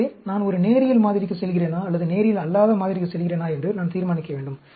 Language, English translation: Tamil, So, I need to decide, do I go for a linear model, nonlinear model